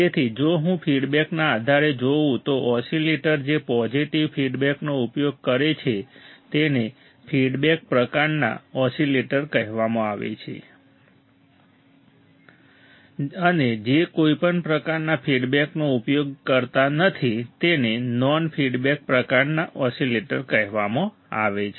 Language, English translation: Gujarati, So, if I see based on the feedback the oscillators which use the positive feedback are called feedback type oscillators and those which does not use any or do not use any type of feedback are called non feedback type oscillators